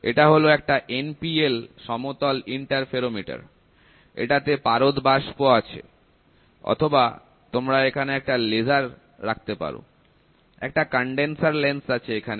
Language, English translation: Bengali, So, you have this is an NPL flat interferometer, mercury vapour is there or you can put a laser there, a condenser lens is there